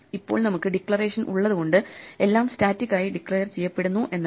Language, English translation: Malayalam, Now just because we have declaration does not mean everything is declared statically